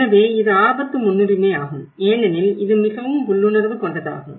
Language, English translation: Tamil, So, this is the risk prioritization because that is very much instinctual